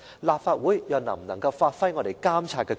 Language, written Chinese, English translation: Cantonese, 立法會又能否行使監察權？, Will the Legislative Council be able to exercise its monitoring power?